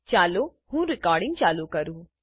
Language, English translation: Gujarati, Let me now play the recorded movie